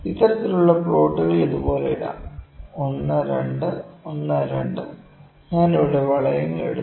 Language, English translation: Malayalam, This kind of plot can also be put like this 1 2 1 2 I am putting rings here 1 2 3 4 1 2 3 1 2 3 1 2, ok